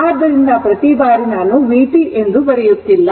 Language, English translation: Kannada, So, every time I am not writing that your v t and v t